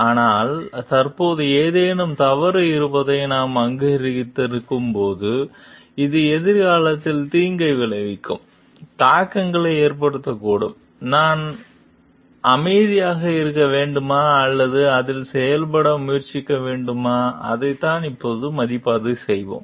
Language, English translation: Tamil, But, when we have recognized something is wrong which at present, which may have an implication of harm in future should we keep quiet or should we try to act on it, so that is what we will review now